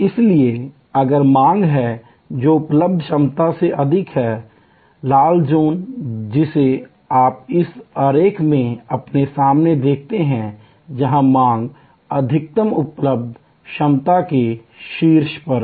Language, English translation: Hindi, Therefore, if there is demand which is higher than the capacity that is available, the red zone that you see in this diagram in front of you, where the demand is there on top of the maximum available capacity